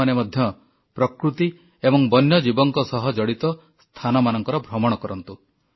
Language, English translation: Odia, You must also visit sites associated with nature and wild life and animals